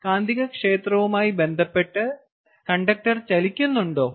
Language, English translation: Malayalam, yes, is the conductor moving relative to the magnetic field